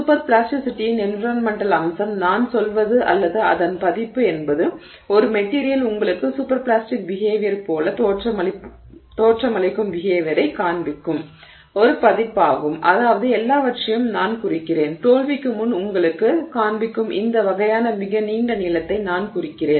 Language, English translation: Tamil, The environmental aspect of superplasticity is, I mean, or that version of it is a version where a material is showing you behavior that looks like superplastic behavior, I mean, which has all the, I mean, this kind of very long elongation before failure, that kind of behavior it's showing you